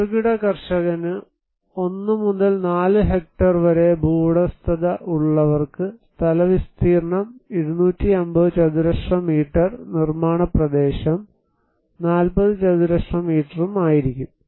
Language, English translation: Malayalam, The small farmer, between 1 to 4 hectare landholding and others, they can have 250 square meter plot area and the construction area will be 40 square meters